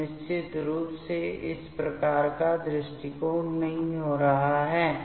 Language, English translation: Hindi, So, definitely this type of approach is not happening